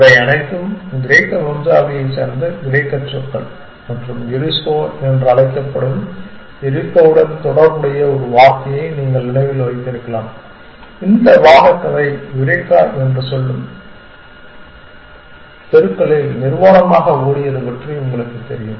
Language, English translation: Tamil, All these are sort of Greek words of Greek origin and you might remember a word which is also related to Eurisko which is called eureka you know this story of argument is running naked through the streets saying eureka and so on essentially